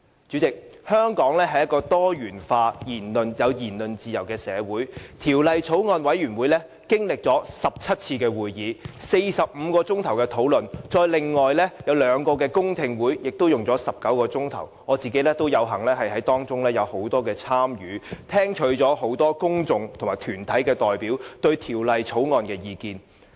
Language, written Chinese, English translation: Cantonese, 主席，香港是一個多元化及有言論自由的社會，法案委員會經歷了17次會議、45小時討論，還有兩個公聽會也花了19小時，我有幸在當中有很多參與，聽取了很多公眾人士和團體代表對《條例草案》的意見。, President Hong Kong is a diversified society which values the freedom of speech . The Bills Committee has held 17 meetings lasting a total of 45 hours and two public hearings lasting 19 hours . I was fortunate enough to have participated in many of the meetings and heard the views expressed by members of the public and various deputations on the Bill